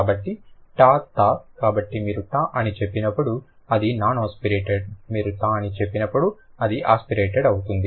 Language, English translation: Telugu, So, t, so when you say t, it's non asperated, when you say t, it's aspirated